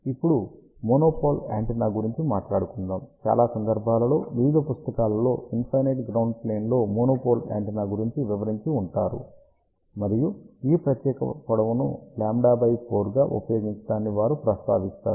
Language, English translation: Telugu, Now, let us talk about monopole antenna, now majority of the time various books would talk about a monopole antenna on infinite ground plane and they would mention that use this particular length as lambda by 4